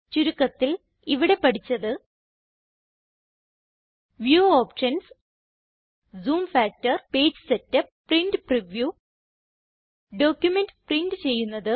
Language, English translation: Malayalam, In this tutorial we have learnt about View options Zoom factor Page setup Print Preview Print a document and Export an image